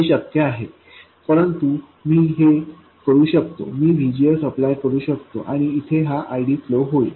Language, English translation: Marathi, But whereas I can do this, I can apply VGS and this and this ID will flow